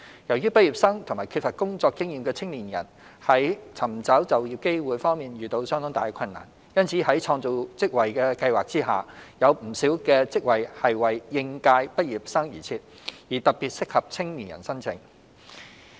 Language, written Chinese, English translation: Cantonese, 由於畢業生和缺乏工作經驗的青年人在尋求就業機會方面遇到相當大的困難，因此在創造職位計劃下，有不少職位是為應屆畢業生而設，而特別適合青年人申請。, As graduates and young people lacking work experience have encountered great difficulties in finding job opportunities many of the jobs under the Job Creation Scheme are created specifically for fresh graduates or especially suitable for young people to apply